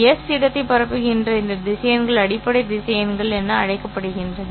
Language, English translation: Tamil, These vectors which are spanning the space s are called as basis vectors